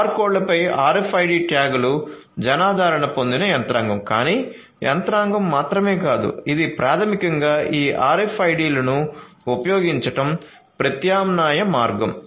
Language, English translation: Telugu, So, RFID tags over barcodes is a mechanism that is popularly used, but is not the only mechanic this is an alternative way of basically using these RFIDs